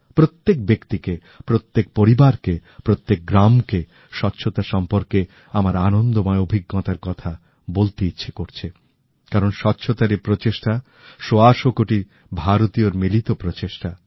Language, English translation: Bengali, Every person, every family, every village wants to narrate their pleasant experiences in relation to the cleanliness mission, because behind this effort of cleanliness is the effort of 125 crore Indians